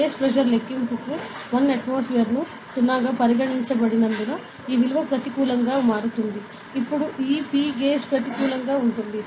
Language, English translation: Telugu, So, since 1 atmosphere was considered as the 0 for a gauge pressure calculation, this value becomes negative, now this p gauge will be negative